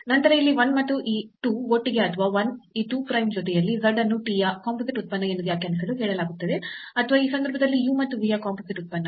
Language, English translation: Kannada, Then the equations here 1 and this 2 together or 1 with this 2 prime together are said to be to define z as composite function of t or in this case composite function of u and v